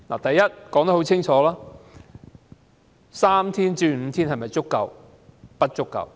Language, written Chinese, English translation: Cantonese, 第一，把侍產假由3天增至5天是否足夠？, First is it enough to extend paternity leave from three days to five days?